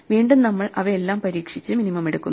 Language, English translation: Malayalam, So, again we try all of them and take the minimum